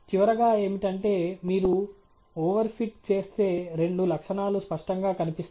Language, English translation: Telugu, But the bottom line is, if you were to over fit, there are two symptoms that will be clearly visible